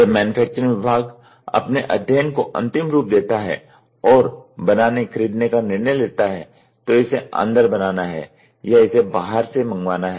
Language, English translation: Hindi, When the manufacturing department finalizes its study and make/ buy decision, so whether to do it inside or whether to get it done outside